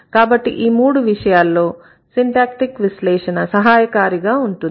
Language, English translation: Telugu, In such cases, the syntactic analysis is going to help you